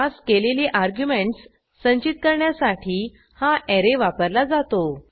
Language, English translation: Marathi, This array is used to store the passed arguments